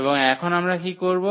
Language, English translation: Bengali, And what we do now